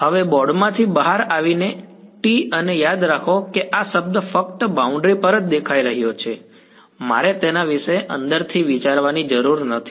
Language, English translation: Gujarati, Coming out of the board now t hat and remember this term is only appearing on the boundary I do not have to think about it on the inside